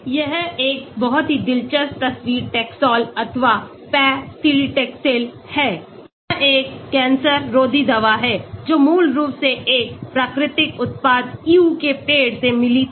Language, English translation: Hindi, it is a very interesting picture Taxol or paclitaxel, this is an anti cancer drug originally it was found from a natural product called Yew tree